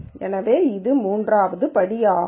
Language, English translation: Tamil, So, that is step 3